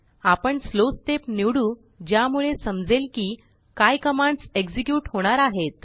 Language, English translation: Marathi, I will choose Slow step so that we understand what commands are being executed